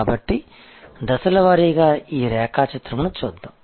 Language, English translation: Telugu, So, let us go through this diagram stage by stage